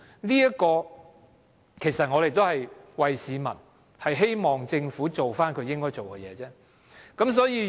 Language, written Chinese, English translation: Cantonese, 這也是我們為市民表達的意見，希望政府做應該做的事而已。, We are expressing the views of the general public and we hope that the Government will do what it is supposed to do